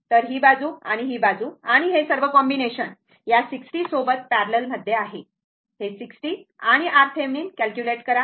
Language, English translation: Marathi, So, this side this one and this side and all all these combination is parallel to your this 60 , this 60 and we will calculate equivalent your what you call R Thevenin, right